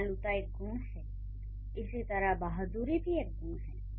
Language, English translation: Hindi, So, kindness is a quality or bravery, that's a quality